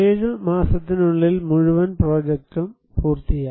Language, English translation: Malayalam, The whole project was completed within 7 months